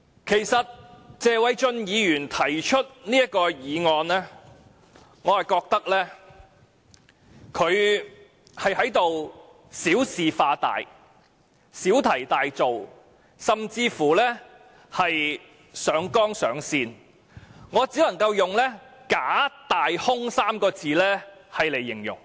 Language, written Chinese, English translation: Cantonese, 對於謝偉俊議員提出這項議案，我認為他是小事化大、小題大做，甚至是上綱上線，我只能用"假大空"這3個字來形容。, As for the motion proposed by Mr Paul TSE I think he is making a mountain out of a molehill by escalating the issue to the political plane . I can only describe his action with three words fabrication exaggeration and imagination